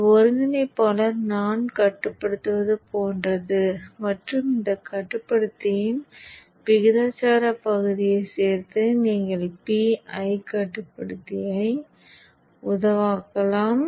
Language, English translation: Tamil, So this integrator is like an eye control and you can also make a PI controller by also including a proportional part of the for this controller